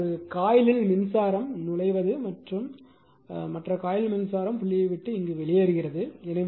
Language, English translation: Tamil, So, current entering in one coil, but other coil current leaves the dot